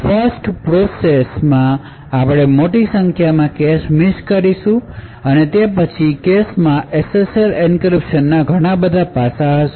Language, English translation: Gujarati, So, in the 1st one we will obtain a large number of cache misses and the cache would then contain some aspects of the SSL encryption